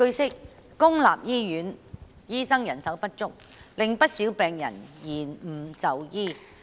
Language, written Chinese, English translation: Cantonese, 據悉，公立醫院醫生人手不足，令不少病人延誤就醫。, It is learnt that manpower shortage of doctors in public hospitals has caused delay in the treatment of quite a number of patients